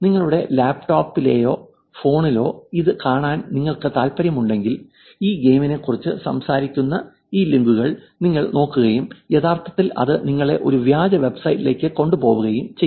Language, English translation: Malayalam, If you are interested in watching it in your laptop, in your phone you tend to actually look at these pages, look at these links which talks about this game and tend to actually taking into a fake website